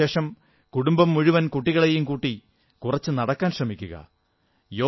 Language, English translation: Malayalam, After dinner, the entire family can go for a walk with the children